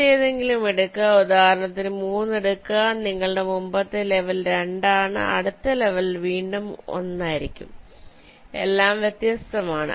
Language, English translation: Malayalam, take any other, lets say take three, your previous level is two and next level will be one again, which are all distinct